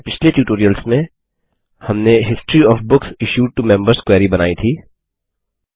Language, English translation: Hindi, In our previous tutorials, we created the History of Books Issued to Members query